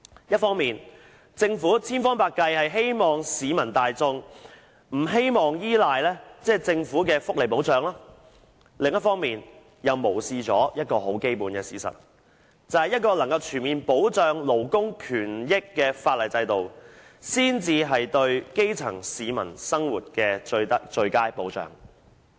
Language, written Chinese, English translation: Cantonese, 一方面，政府千方百計希望市民大眾不用依賴政府的福利保障；另一方面，卻無視一個基本的事實，就是一個能夠全面保障勞工權益的法例制度，才是對基層市民生活的最佳保障。, On the one hand the Government has exhausted all means to minimize public reliance on government welfare and social security but on the other it has neglected a basic fact and that is it is only when the statues can comprehensively safeguard labour rights and interests that the living of the grass roots can be afforded the best protection